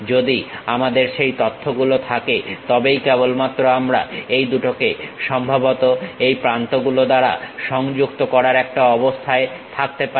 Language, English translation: Bengali, If we know that information only we will be in a position to represent these two supposed to be connected by these edges